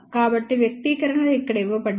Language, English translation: Telugu, So, the expressions are given over here